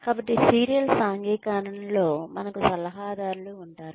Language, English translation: Telugu, So, in serial socialization, we have mentors